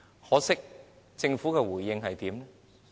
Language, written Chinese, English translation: Cantonese, 可惜，政府怎樣回應呢？, What was the response of the Government?